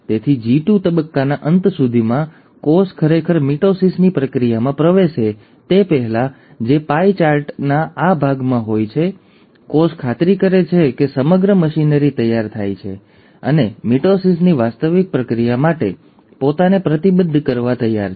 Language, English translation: Gujarati, So by the end of G2 phase, before a cell actually enters the process of mitosis which is in this part of the pie chart, the cell ensures that the entire machinery is ready and is willing to commit itself to the actual process of mitosis